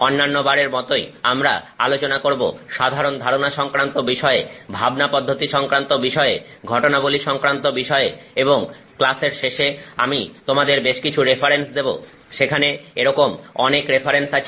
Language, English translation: Bengali, As always we will talk of the general concept involved, the thought process involved, the phenomena involved, and towards the end of the class I will give you a couple of references